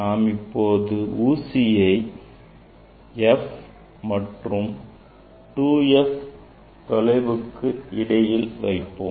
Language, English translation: Tamil, here object needle if we put between F and the two F distance between F and two F distance